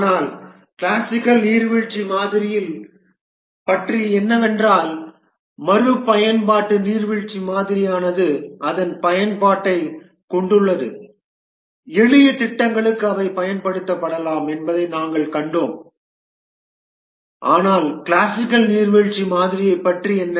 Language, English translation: Tamil, But what about the classical waterfall model, the iterative waterfall model has its use, we saw that for simple projects they can be used